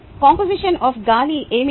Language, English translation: Telugu, what is the composition of air